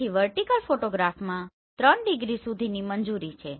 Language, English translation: Gujarati, So in vertical photograph up to 3 degree is allowed